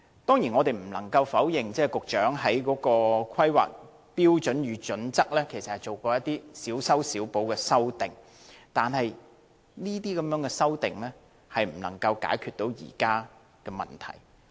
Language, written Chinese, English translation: Cantonese, 當然，我們不能否認，局長曾就《香港規劃標準與準則》作出一些小修小補，但這些修訂無法解決現時的問題。, Certainly we cannot deny that the Secretary has made piecemeal amendments to the Hong Kong Planning Standards and Guidelines HKPSG but such amendments are unable to resolve the problems nowadays